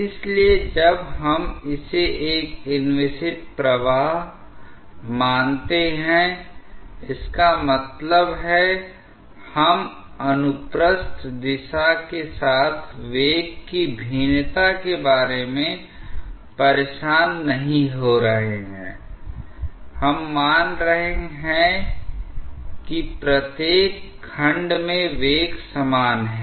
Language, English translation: Hindi, So, when we assume it as an inviscid flow; that means, we are not bothering about the variation of velocity along the transverse direction, we are assuming that at each section the velocity is uniform